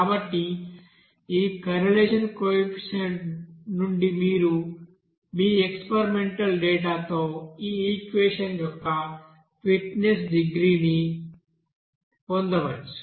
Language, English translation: Telugu, So from this correlation coefficient you can obtain what will be the degree of fitness of this equation with your experimental data